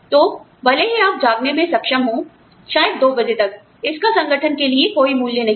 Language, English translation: Hindi, So, even if you are able to stay awake, till maybe 2 am, it is of no value, to the organization